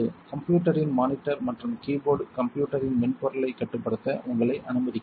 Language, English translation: Tamil, The systems computer monitor and keyboard allow you to control the software of the system